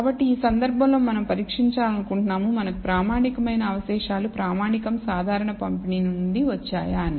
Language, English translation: Telugu, So, in this case we want to test, whether residuals that we have the standardized residuals, come from a standard normal distribution